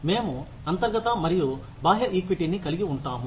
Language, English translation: Telugu, We have internal and external equity